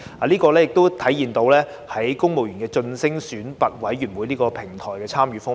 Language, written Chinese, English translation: Cantonese, 這亦體現在公務員晉升選拔委員會這個平台的參與方面。, This is also reflected in the participation of the platform of promotion boards for civil servants